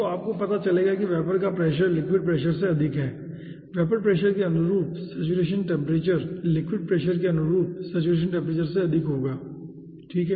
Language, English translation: Hindi, so you will be finding out, as ah vapor pressure is higher than the liquid pressure, saturation temperature corresponding to ah vapor pressure will be higher than the saturation temperature corresponding to a liquid pressure